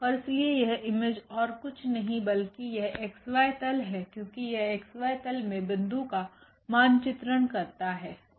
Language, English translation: Hindi, And therefore, this image is nothing but this x y plane because this maps the point to the x y plane only